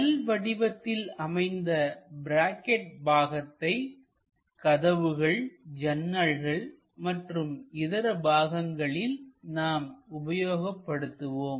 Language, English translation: Tamil, So, it is a L angle kind of bracket which usually for doors, windows, other things, we use it